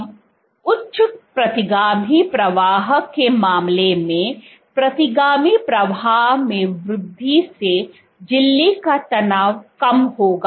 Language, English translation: Hindi, So, increase retrograde flow would decrease the membrane tension